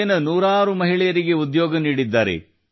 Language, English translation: Kannada, He has given employment to hundreds of women here